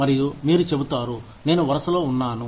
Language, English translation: Telugu, And, you will say, i was next in line